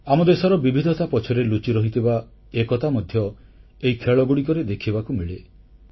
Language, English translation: Odia, The unity, intrinsic to our country's diversity can be witnessed in these games